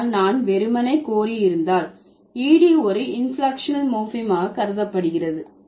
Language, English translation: Tamil, But if I will simply have solicited, ED can also be considered as an inflectional morphem